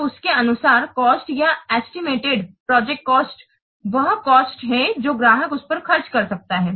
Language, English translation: Hindi, So, according to this, the cost or the estimated project cost is that cost that the customer can spend on it